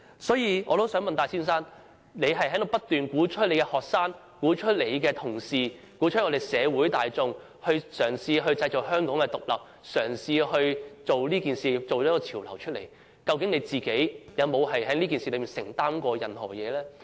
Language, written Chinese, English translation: Cantonese, 所以，我想問戴先生，他不斷鼓吹學生、同事、社會大眾嘗試製造香港獨立，嘗試做這件事，製造這個潮流，究竟他個人有否在這事件上作出任何承擔？, Therefore may I ask Mr TAI if in continually inciting students colleagues and members of the public to try to bring about independence of Hong Kong working for such a cause and setting such a trend he has ever made any personal commitment to this?